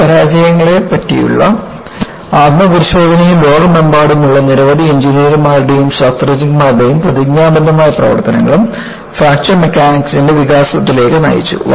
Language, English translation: Malayalam, So, introspection to these failures and committed work by several engineers and scientists across the world, led to the development of Fracture Mechanics